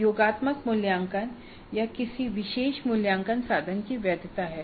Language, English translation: Hindi, So, that is the validity of the summative assessment or a particular assessment instrument